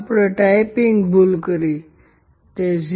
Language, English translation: Gujarati, We founded typo, it is 0